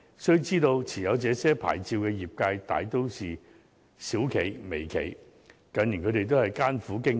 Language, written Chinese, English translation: Cantonese, 須知道，持有這些牌照的業界大都是小企及微企，近年它們均艱苦經營。, We should be aware that holders of these licences are mostly small enterprises and micro - enterprises which have been operating with great difficulties in recent years